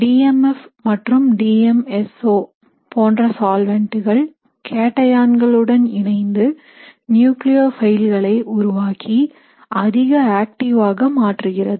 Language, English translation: Tamil, There are certain solvents such as DMF and DMSO which can coordinate to cations making the nucleophiles more solvated and more reactive